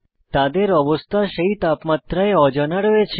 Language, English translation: Bengali, Their state is unknown at that Temperature